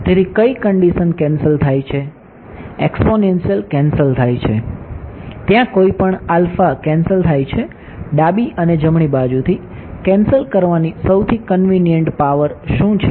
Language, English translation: Gujarati, So, what terms get cancelled, the exponential gets cancelled there is any alpha get cancelled, what is the most convenient power of alpha to cancel from both the left and right side